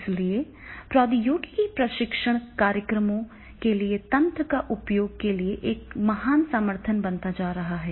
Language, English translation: Hindi, So technology is becoming a very great support to the use of the mechanism for the training programs